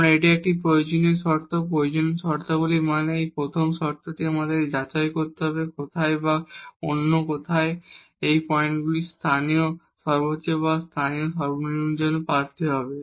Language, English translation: Bengali, Because this is a necessary condition, necessary conditions means that this is the first condition we have to check where and or in other words these points will be the candidates for the local maximum or minimum